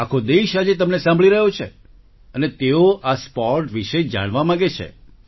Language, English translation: Gujarati, The whole country is listening to you today, and they want to know about this sport